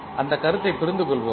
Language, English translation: Tamil, Let us understand that particular concept